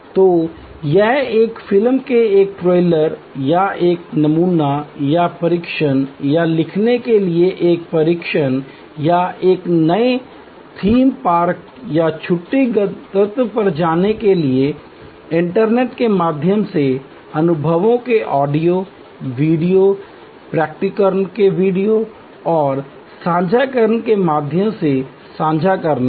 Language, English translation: Hindi, So, it is like a trailer of a movie or a sample or test to write or a visit to a new theme park or holiday destination through internet based sharing of experiences through audio, video discloser of finer points and so on